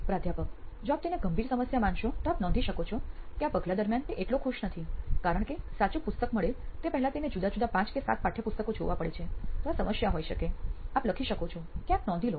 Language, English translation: Gujarati, If you consider that to be a serious problem you can note that down saying during this step he is not so happy because he has to go through five different notebooks or seven different textbooks before he can land up on the right book, so that could be a problem that you can write, note down somewhere